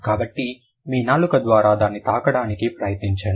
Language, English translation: Telugu, So, try to touch it through your tongue